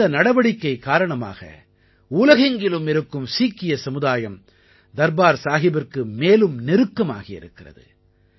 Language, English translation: Tamil, With this step, the Sangat, the followers all over the world have come closer to Darbaar Sahib